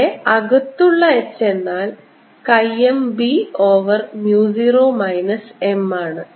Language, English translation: Malayalam, so h inside, which is nothing but chi m b over mu zero minus m